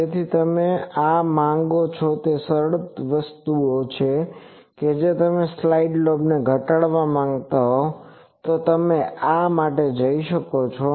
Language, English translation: Gujarati, So, if you want to these are simple things that if you want to reduce side lobes you can go for these